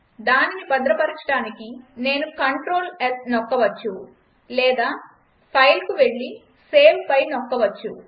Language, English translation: Telugu, To save it, I can press Clt+s or goto File and then click on save